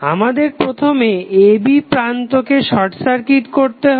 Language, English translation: Bengali, We have to first short circuit the terminal a, b